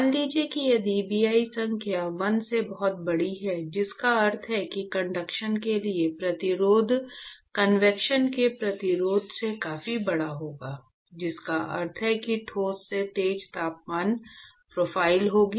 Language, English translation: Hindi, So, supposing if Bi number is much larger than 1, which means that the resistance for conduction is going to be much larger than the resistance for convection, which means that, this means that there will be sharp temperature profile in the solid